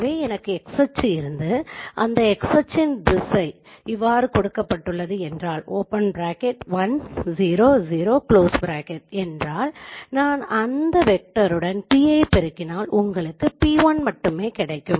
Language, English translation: Tamil, So if I have the x axis, the direction of x axis is given as 1 0 and if I multiply p p with this vector, what you will get